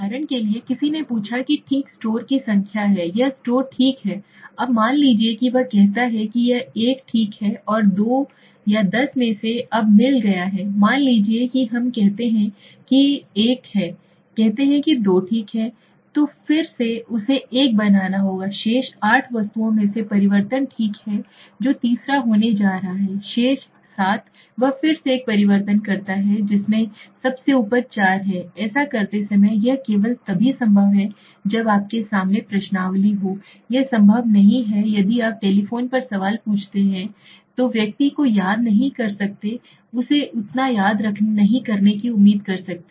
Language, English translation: Hindi, Now for example, now if you suppose ask somebody okay there are number of stores and please rank this stores okay, now suppose he says this is 1 okay, and out of the 2, 10 now he finds suppose this one is let s say this one is let s say 2 okay, so then again he has to make an alteration among the remaining 8 items okay which is going to be the third, so third suppose he says this is the third and then the remaining 7 he again makes an alteration to which is the top among them so that is the 4th, so while doing it, it is the only possible when the questionnaires is front of you right, that is not possible if you ask a question on a telephone right, so the person cannot remember you do not expect him to remember so much